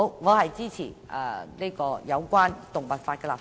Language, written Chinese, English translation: Cantonese, 我支持就維護動物權益立法。, I support legislating for safeguarding animal rights